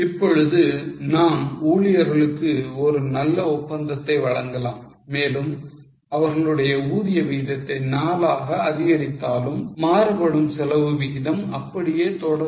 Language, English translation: Tamil, Now we want to give a better deal to employees and increase their wage rate to 4, the hourly variable over rate will remain same